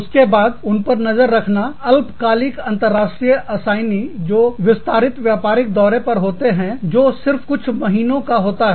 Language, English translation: Hindi, Then, keeping track of short term international assignees, who maybe commuting on extended business trips, or on assignments, that last only a few months